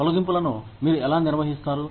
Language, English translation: Telugu, How do you handle layoffs